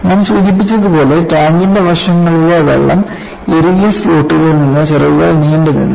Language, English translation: Malayalam, As I mentioned, the wings protruded from water tight slots in the sides of the tank